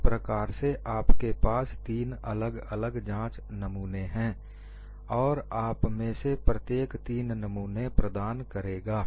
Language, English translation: Hindi, So, you will have three different specimens; and on each of them, you provide three samples